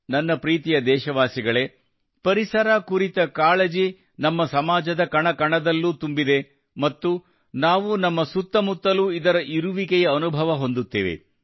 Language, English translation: Kannada, My dear countrymen, sensitivity towards the environment is embedded in every particle of our society and we can feel it all around us